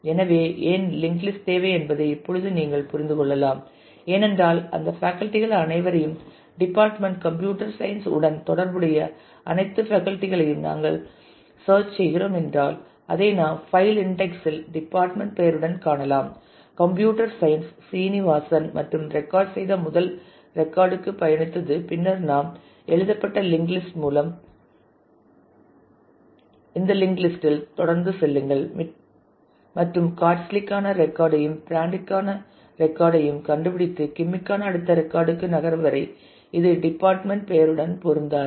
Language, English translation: Tamil, So, now you can understand why we need the link list; because if we are looking for the all those teachers all those faculty who are associated with department computer science, then I can find it on the index file with the department name, computer science traveled to the record first record in that which is of Srinivasan and then keep going on this list through the linked list that we have on write and find the record for Katz and record for Brandt and till we moved to the next record for Kim which does not match the department name anymore